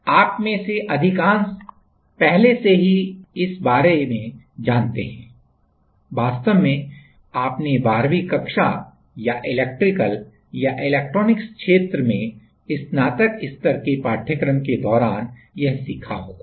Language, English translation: Hindi, So, most of you are already aware of this part, actually in during your 12th standard or some basics undergraduate courses on an electrical field or electronics field